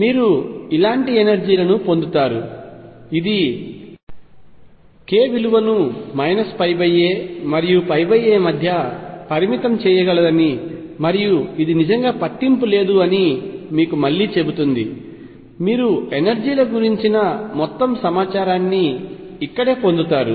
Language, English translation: Telugu, You will get energies which are like this; which again tells you that k actually you can restrict between the minus pi by a and pi by a and does not really matter, you get all the information about energies right here